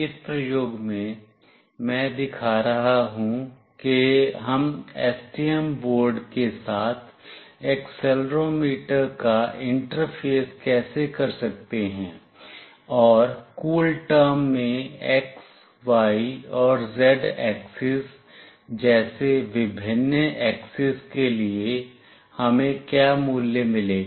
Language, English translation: Hindi, In this experiment, I will be showing how we can interface accelerometer with STM board, and what value we will get for the different axis like x, y and z axis in CoolTerm